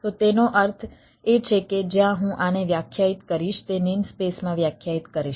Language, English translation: Gujarati, alright, so that means where i will define this, i will define in the name space